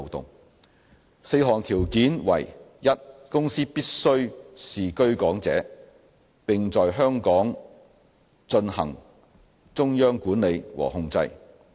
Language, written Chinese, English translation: Cantonese, 該4項條件為： a 公司必須是居港者，並在香港進行中央管理和控制。, The four conditions as follows a The OFC must be a Hong Kong resident person with its CMC exercised in Hong Kong